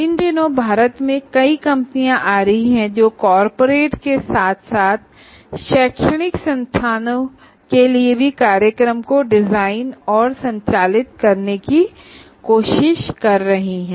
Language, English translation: Hindi, Now these days there are a number of companies that are coming up in India who are trying to design and conduct programs for the corporates as well as for the educational institutes